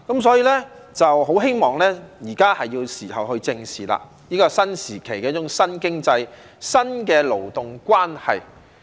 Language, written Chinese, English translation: Cantonese, 所以，現在是時候去正視這個新時期的一種新經濟、新的勞動關係。, Therefore I think it is high time that the authorities squarely addressed this new labour relationship arising from a new economic mode in this new era